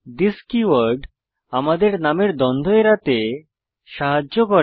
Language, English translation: Bengali, this keyword helps us to avoid name conflicts